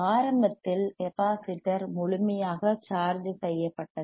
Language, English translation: Tamil, Iinitially the capacitor was fully charged